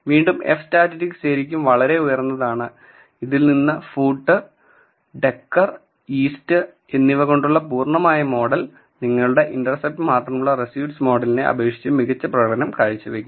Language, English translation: Malayalam, The f statistic again is really really high telling you that full model with food, decor and east is performing better compared to your reduced model with only the intercept